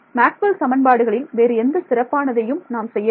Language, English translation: Tamil, Nothing special about Maxwell’s equations right